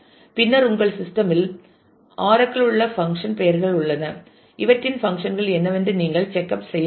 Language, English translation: Tamil, And then there are functions these are function names in oracle in your system you might want to check up what these functions are called